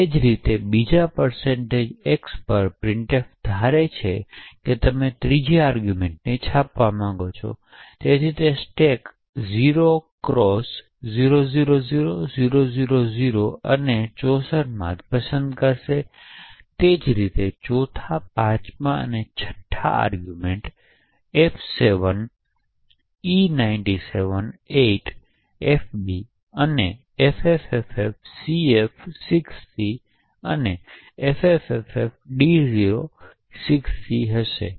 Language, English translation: Gujarati, Similarly at the occurrence of the second %x printf will assume that you want to print the third argument and therefore it would pick up this from the stack 0x000000 and 64 and similarly the fourth, fifth and fifth arguments would be f7e978fb and ffffcf6c and ffffd06c